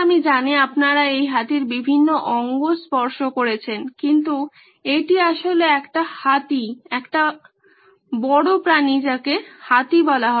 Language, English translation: Bengali, I know you guys have been touching different parts of this elephant but it’s actually an elephant, it’s an big animal called an elephant